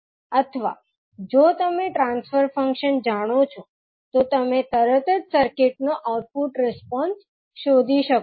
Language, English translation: Gujarati, Or if you know the transfer function, you can straight away find the output response of the circuit